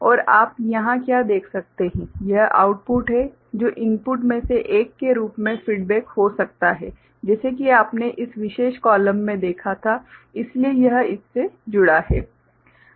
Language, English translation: Hindi, And what you can see over here this is the output which can be fed back as one of the input like what you had seen in this particular column ok, so this is connected to this one